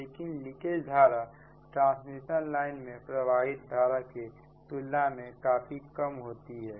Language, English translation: Hindi, this leakage currents are negligible as compared to the current flowing in the transmission lines